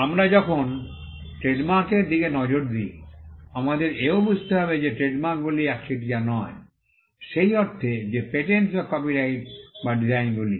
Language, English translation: Bengali, When we look at trademarks, we also need to understand that trademarks are not a monopoly, in the sense that patents or copyright or designs are